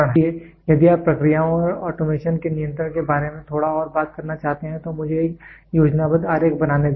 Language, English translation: Hindi, So, if you want to talk little bit more about control of processes and automation let me make a schematic diagram